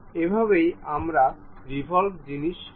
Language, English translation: Bengali, This is the way a revolved thing we will construct